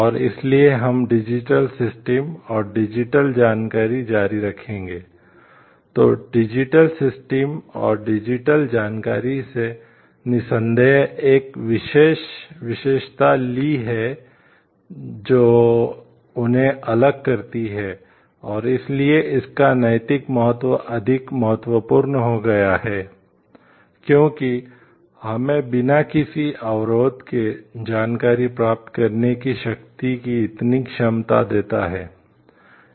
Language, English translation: Hindi, So, digital systems and digital information undoubtedly has taken a special characteristics that sets them apart and, that is why the moral significance of it has becomes more important, because it gives us so much of power capability of getting information without maybe any barriers